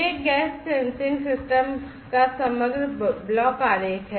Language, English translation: Hindi, This is the overall block diagram of a gas sensing system